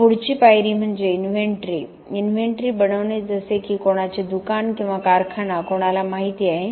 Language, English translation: Marathi, Then the next step is making a inventory, inventory like anybody knows who is being a shop or in factory